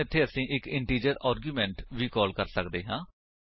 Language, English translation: Punjabi, So, here we can pass integer arguments as well